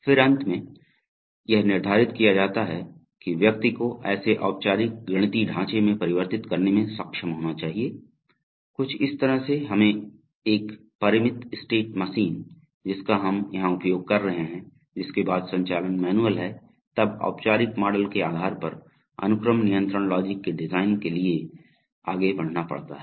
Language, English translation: Hindi, Then finally, but finally it is prescribed that one should be able to convert it to a formal mathematical framework, something like let us say a finite state machine which we will be using here, after, up to this the operations are manual, having done that then one has to go for design of the sequence control logic based on the formal model